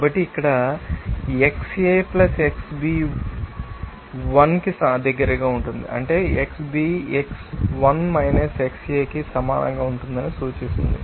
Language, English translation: Telugu, So, here xA + xB, will be close to 1 that implies that xB will be equal to 1 xA